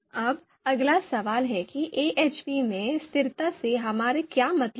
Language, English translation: Hindi, Now what do we mean by consistency you know in AHP